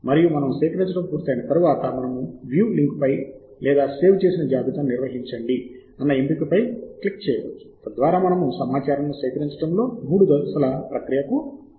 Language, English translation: Telugu, and once we are done with collecting, then we can click on the link view or manage your save lists, so that we can go to a three step process in collecting the data